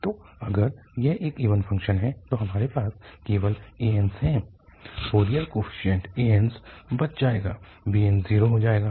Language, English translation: Hindi, So, if it is an even function we have only the an's the Fourier coefficient an's will survive the bn's will become zero